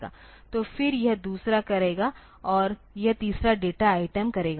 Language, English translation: Hindi, So, then this will be doing the second one and this will be doing the third data item